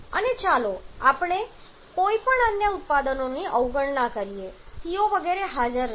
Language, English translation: Gujarati, And let us neglect any other products carbon monoxide etcetera are not present